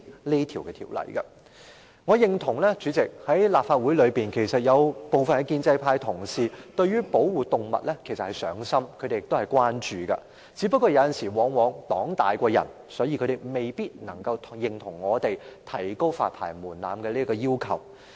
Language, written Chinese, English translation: Cantonese, 代理主席，我認同在立法會內，其實有部分建制派同事對於保護動物是"上心"和關注的，只不過往往"黨大於人"，他們未必能夠認同我們提高發牌門檻的要求。, Deputy President I acknowledge that some pro - establishment Members of this Council are actually mindful of and concerned about animal protection . It is just that they often have to put the interests of their parties above their personal aspirations and so may not be able to support our demand for a higher licensing threshold